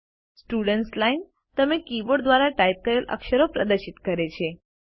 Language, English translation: Gujarati, The Students Line displays the characters that are typed by you using the keyboard